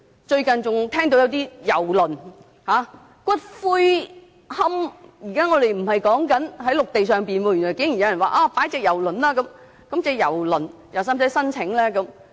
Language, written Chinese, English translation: Cantonese, 最近更有人提出郵輪龕場——不是在陸地上——原來竟然有人經營郵輪龕場，那是否需要向當局申請呢？, Recently cruise columbaria―not on land―have come into being . Indeed someone is running a cruise columbarium then does it require any application with the authorities?